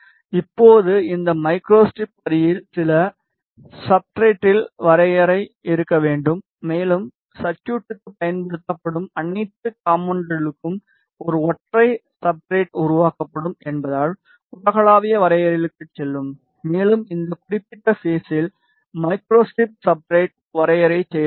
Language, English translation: Tamil, Now, this microstrip line has to have some substrate definition, and because a single substrate will be created for all the components being used in the circuit will go to global definitions and we will add a microstrip substrate definition at this particular point